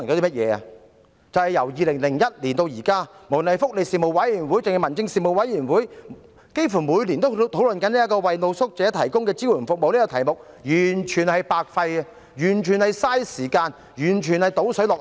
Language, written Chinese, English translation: Cantonese, 即是由2001年至今，不論是福利事務委員會或民政事務委員會，幾乎每年都會討論有關為露宿者提供支援服務的議題，卻完全是白費氣力，完全是浪費時間，完全是"倒水落海"。, But there was no clear answer as to which one was the corresponding department for the overall policy . What does the whole picture illustrate? . That means since 2001 discussion was held be it by the Panel on Welfare Services or the Panel on Home Affairs almost every year about provision of support services for street sleepers but it was a total waste of efforts and time just like pouring water into the sea